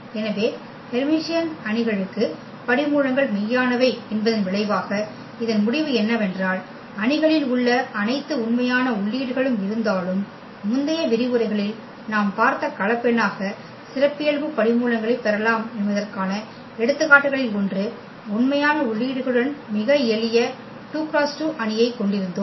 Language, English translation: Tamil, So, what is this result that for Hermitian matrices the roots are real because what we have also seen that though the matrix having all real entries, but we can get the characteristic roots as complex number we have seen in previous lectures one of the examples where we had a very simple 2 by 2 matrix with real entries